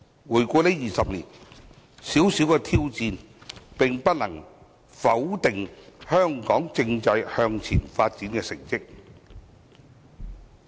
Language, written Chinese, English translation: Cantonese, 回顧這20年，小小的挑戰不能否定香港政制向前發展的成績。, In retrospect the small challenges over the 20 years cannot negative the progress made in respect of the constitutional development of Hong Kong